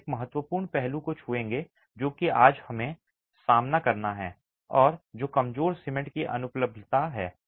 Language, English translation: Hindi, We will touch upon an important aspect that is something that we have to face today and that is the non availability of weak cement